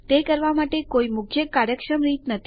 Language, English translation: Gujarati, Theres no major efficient way to do it